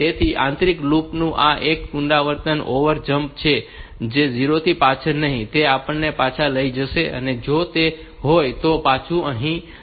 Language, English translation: Gujarati, So, this one iteration of the inner loop is over jump not 0 to back, it will take us to back and if it is, so that is back is here